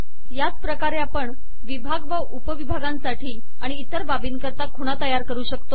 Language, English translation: Marathi, In a similar way we can create labels for sections, sub sections and so on